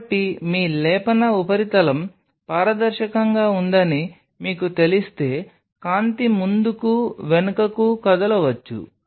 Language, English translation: Telugu, So, if you know that your plating surface is transparent light can move back and forth